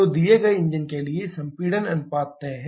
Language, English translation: Hindi, So, for given engine, compression ratio is fixed